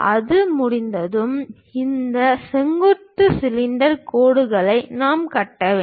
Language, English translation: Tamil, Once it is done, tangent to that we have to construct this vertical cylinder lines